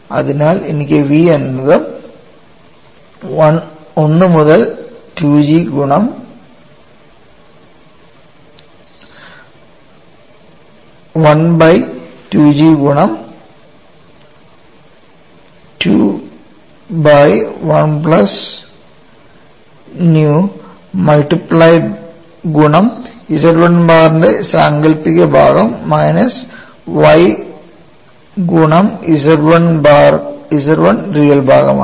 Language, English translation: Malayalam, So, I have v equal to 1 by 2 G of 2 by 1 plus nu multiplied by imaginary part of Z 1 bar minus y real part of Z 1